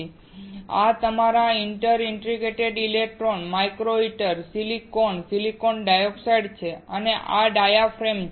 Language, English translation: Gujarati, This is your inter digitated electrodes, micro heater, silicon, silicon dioxide and this one is diaphragm